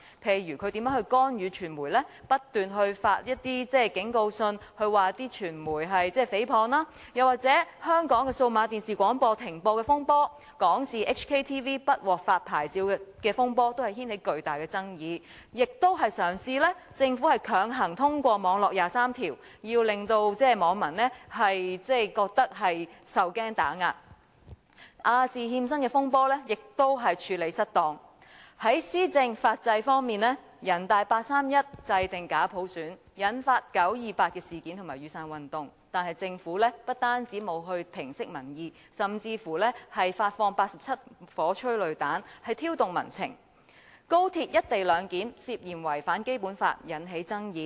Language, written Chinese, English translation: Cantonese, 例如他如何干預傳媒，不斷發出警告信指傳媒誹謗；又或香港數碼廣播的停播風波，香港電視網絡不獲發牌照的風波亦掀起巨大的爭議；政府亦嘗試強行通過"網絡廿三條"，令網民受驚打壓；亞洲電視的欠薪風波亦處理失當；在施政法制方面，人大八三一制訂假普選，引發九二八事件和雨傘運動，但政府不但沒有平息民意，甚至發放87顆催淚彈，挑動民情；高鐵"一地兩檢"涉嫌違反《基本法》，引起爭議。, For instance how he interfered with the media sending warning letters continuously to accuse the media of libel; or the storm on cessation of broadcasting service of the Digital Broadcasting Corporation Hong Kong Limited and the storm on Hong Kong Television Network Limited HKTVN licence refusal also triggered off tremendous arguments; the Government also tried to pass forcibly the Internet Article 23 which scared and suppressed the netizens; the dispute on defaulted payments of wages by the Asia Television Limited was also not properly handled . In terms of policy administration and legal system the NPC 31 August Decision―forming a pseudo universal suffrage had led to the 28 September incident and the Umbrella Movement . However the Government did not calm down the public opinion; it even launched 87 tear gas grenades thus provoking the public sentiment